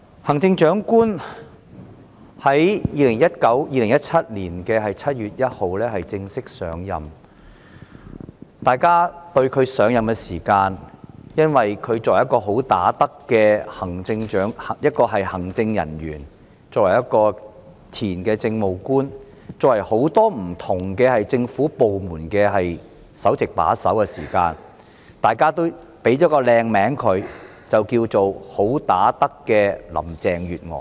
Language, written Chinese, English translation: Cantonese, 行政長官在2017年7月1日正式上任，由於她是"好打得"的行政人員、前任政務官，以及曾擔任不同政府部門的首席把手，大家也為她冠以美名，稱她為"好打得"的林鄭月娥。, The Chief Executive officially assumed office on 1 July 2017 . Given her capacity as a good fighter in the executive former Administrative Officer and head of various government departments people had crowned her as the good fighter Mrs Carrie LAM